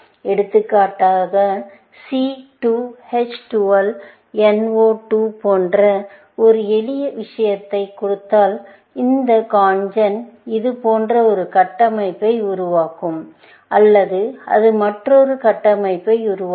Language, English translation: Tamil, For example, given a simple thing like C 2 H 12 NO 2, this CONGEN would produce a structure like this, or it would produce another structure